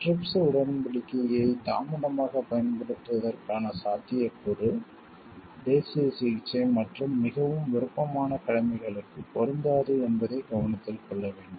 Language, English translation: Tamil, This is to be noted that the possibility of delayed application of the trips agreement does not apply to national treatment and most favoured obligation